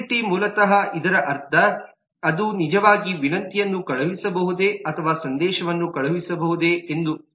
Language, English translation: Kannada, visibility basically means that whether it can actually send the message, whether it can actually send the request